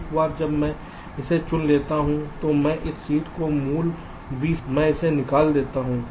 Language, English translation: Hindi, so once i select this one, i remove this seed from the original v